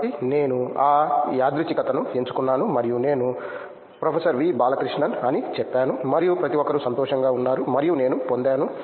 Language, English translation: Telugu, So, I picked that random and I said proff V Balakrishan and everybody was happy and I got